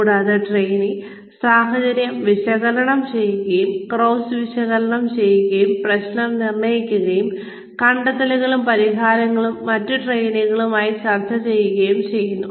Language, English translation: Malayalam, And, the trainees analyze the situation, and analyze the case, diagnose the problem, and present the findings and solutions, in discussion with other trainees